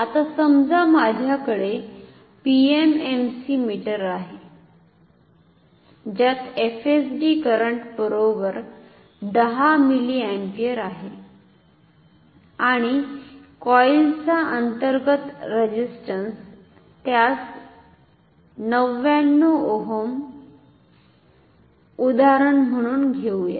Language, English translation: Marathi, Now suppose I have an PMMC meter with FSD current equals say 10 milliampere and say the internal resistance of the coil is also known to be say take it 99 ohm as an example ok